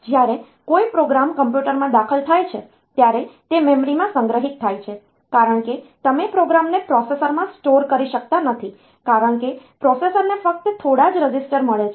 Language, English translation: Gujarati, When a program is entered into the computer it is stored in the memory, because you cannot store the program in the processor, because processor has got only a few registers